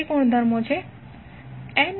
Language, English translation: Gujarati, What are those properties